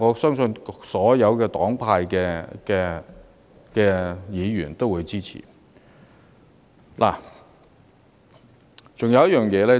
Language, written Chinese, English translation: Cantonese, 所有黨派議員對此並無異議，均會支持。, Members from all political parties have raised no objections and will invariably render their support